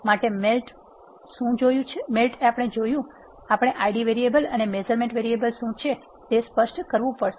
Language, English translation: Gujarati, What we have seen in the melt, we have to specify what are the Id variables and the measurement variables